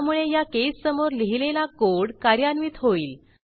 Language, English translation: Marathi, So the code written against this case will be executed